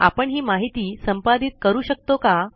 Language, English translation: Marathi, Can we edit this information